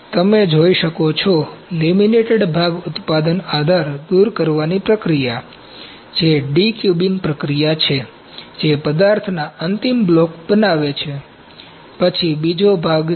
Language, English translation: Gujarati, You can see, the laminated object manufacturing support removal process, that is de cubing process, showing the finished block of material, then second part is